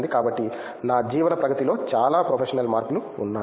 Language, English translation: Telugu, So, there is a lot of professional change in my carrier